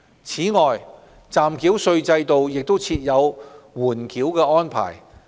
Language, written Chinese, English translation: Cantonese, 此外，暫繳稅制度亦設有緩繳安排。, Moreover a holdover arrangement is provided under the provisional tax regime